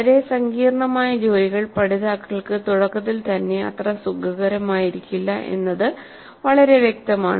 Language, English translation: Malayalam, Now it's quite obvious that at the very beginning the learners may not be very comfortable with highly complex tasks